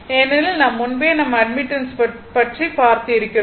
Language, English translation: Tamil, So, because we know admittance earlier we have seen